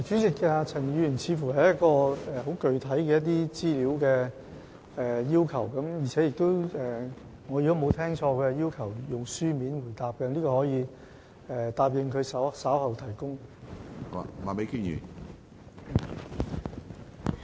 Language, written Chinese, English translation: Cantonese, 主席，陳議員似乎在索取很具體的資料，而如果我沒有理解錯誤，他要求以書面答覆，我可以承諾在會後提交有關資料。, President it seems that Dr CHAN is asking for some very specific information and if I have not misunderstood him he has asked for a written reply . I undertake to provide the information after the meeting . Appendix I